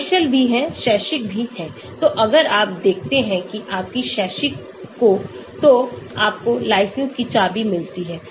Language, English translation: Hindi, commercial is also there, academic is also there, so if you show that your academic they give you a license key